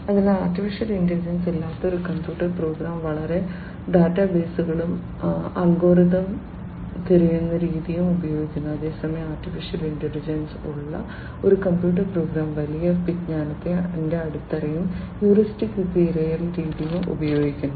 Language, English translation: Malayalam, So, a computer program without AI uses large databases and uses algorithmic search method whereas, a computer program with AI uses large knowledge base and heuristic search method